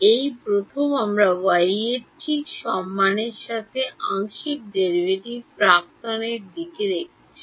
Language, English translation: Bengali, This is the first time we are looking at E x right the partial derivative with respect to y ok